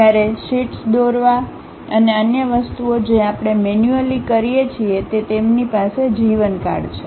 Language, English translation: Gujarati, Whereas, a drawing sheets and other things what manually we do they have a lifetime